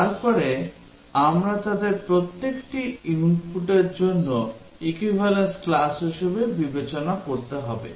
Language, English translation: Bengali, Then we have to consider each of them as an equivalence class for the input